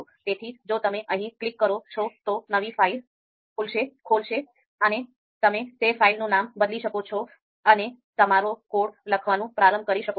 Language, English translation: Gujarati, So if you click here, then a new file would be opened just like this and you can of course rename that file and start writing writing your code